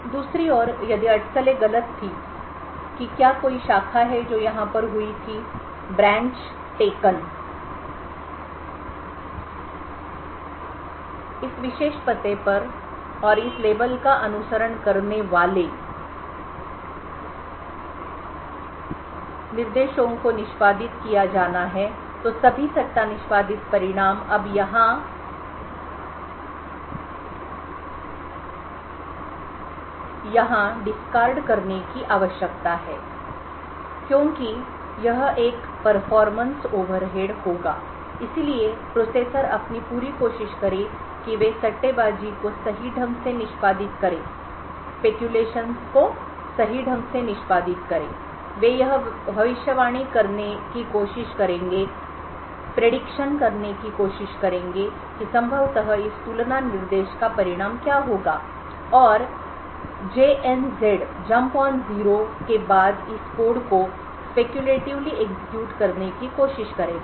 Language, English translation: Hindi, On the other hand if the speculation was wrong that is there was a branch that occurred over here too this particular address and the instructions that followed follows this label has to be executed then all the speculatively executed result needs to be discarded now here that it would be a performance overhead processors try their best therefore to speculatively execute correctly they would try to predict what would possibly be the result of this compare instruction and would try to speculatively execute either this code following the jump on no zero instruction or the code following the label depending on what they predicted would be the result of this jump on no zero instruction